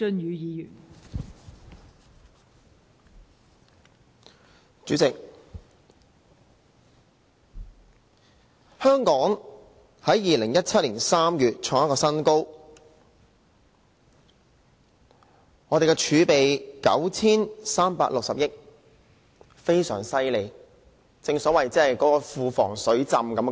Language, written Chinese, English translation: Cantonese, 代理主席，香港在2017年3月創出一個新高，我們的儲備有 9,360 億元，非常厲害，正所謂"庫房水浸"。, Deputy President Hong Kong created a new record in March 2017 . We have a record high of 936 billion in reserve an impressive amount that floods the Treasury